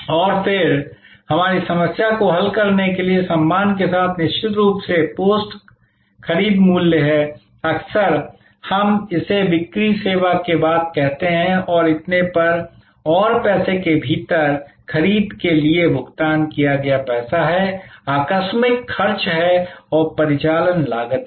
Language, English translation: Hindi, And then, there are of course post purchase cost with respect to follow our problem solving, often we call this after sale service and so on and within money, there is a money paid for the purchase, there are incidental expenses and there are operating costs